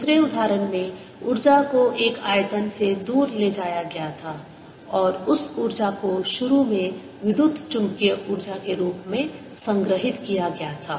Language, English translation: Hindi, in the other example, the energy was taken away from a volume and that energy initially was stored as electromagnetic energy